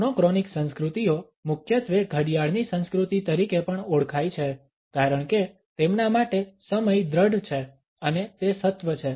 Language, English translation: Gujarati, The monochronic cultures are also primarily known as the clock cultures because for them time is measured and it is of essence